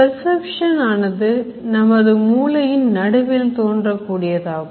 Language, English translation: Tamil, So, perception happens in the higher centers of the brain